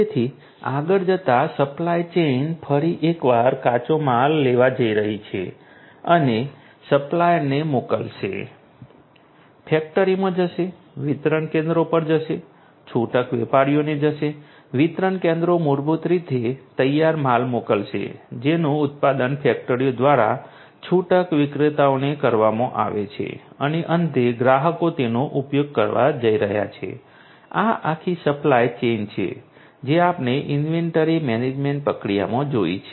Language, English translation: Gujarati, So, going forward, so you know the supply chain once again is going to take the raw materials send it to the supplier goes to the factory, to the distribution centers, to the retailers the these distribution you know centers basically are going to send the finished goods, that are produced by the factories to the retailers and finally, the customers are going to use it this is this whole supply chain that we have already seen in the inventory management process